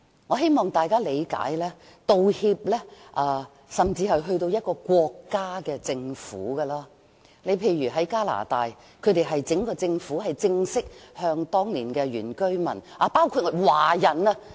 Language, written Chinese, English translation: Cantonese, 我希望大家理解，道歉甚至可以提升至國家政府的層次，例如加拿大，整個政府正式向當年的原居民及華人道歉。, I hope everyone can understand that apologies can be made even at the level of national governments such as the Government of Canada . The Canadian Government has formally apologized to the aboriginal and ethnic Chinese peoples in Canada